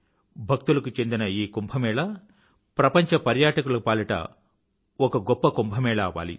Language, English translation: Telugu, May this Kumbh of the devotees also become Mahakumbh of global tourists